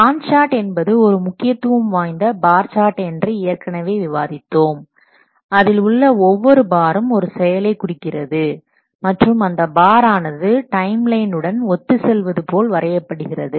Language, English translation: Tamil, A GAN chart is a special type of bar chart that we have already discussed where each bar represents an activity and the bars normally they are drawn along a timeline